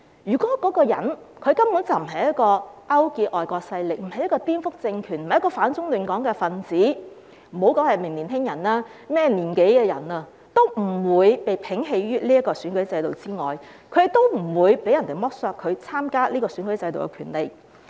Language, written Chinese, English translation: Cantonese, 如果一個人根本沒有勾結外國勢力，不是顛覆政權、反中亂港的分子，無論是年輕人還是甚麼年紀的人，也不會被摒棄於選舉制度之外，不會被剝削參加選舉的權利。, If a person has not colluded with foreign forces and is not a subversive element that opposes China and disrupts Hong Kong he will not whether he is a young person or regardless of his age be excluded from the electoral system and will not be deprived of the right to stand for election